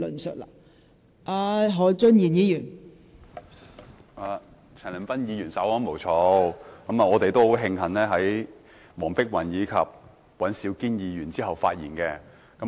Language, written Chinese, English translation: Cantonese, 陳恒鑌議員稍安毋躁，我們應該慶幸在黃碧雲議員和尹兆堅議員之後發言。, Mr CHAN Han - pan take it easy . We should be glad that we speak after Dr Helena WONG and Mr Andrew WAN